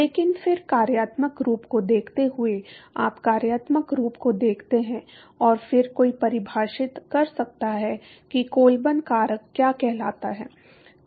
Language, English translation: Hindi, But then observing the functional form, you look at the functional form and then one can define what is called the Colburn factors